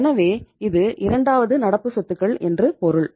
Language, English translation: Tamil, So it means this is a second current assets